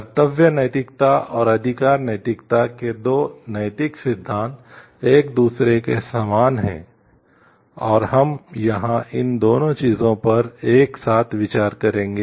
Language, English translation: Hindi, The 2 ethical theories of duty ethics and rights ethics are similar to each other, and we will be considering here both of these things together